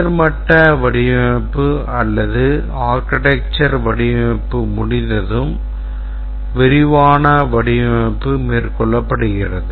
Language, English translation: Tamil, Once the high level design is complete or the architectural design is complete, take up the detailed design